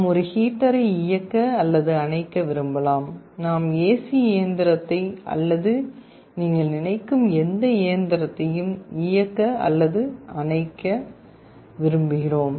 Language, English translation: Tamil, We may want to turn on or turn off a heater, we want to turn on or turn off our AC machine or anything you can think of